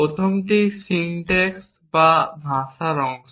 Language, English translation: Bengali, The first one is syntax or the language part